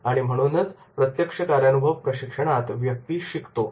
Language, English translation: Marathi, So therefore in the on the job training is the person learns